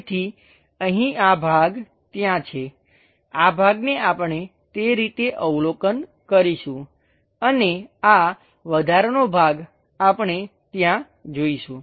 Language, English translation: Gujarati, So, here this part is there, this part we will observe it in that way and this extra portion, we are going to see all the way there